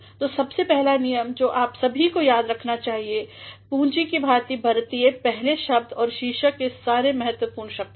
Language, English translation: Hindi, So, the very first rule that all of you should remember is capitalize the first word and all important words in the title